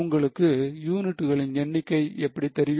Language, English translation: Tamil, How do you know the number of units